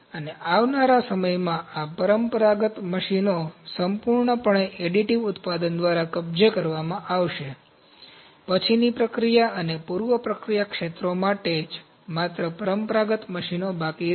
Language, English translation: Gujarati, And in the coming time, this traditional machines would be taken over by additive manufacturing completely, only traditional machines would be left for post processing and preprocessing areas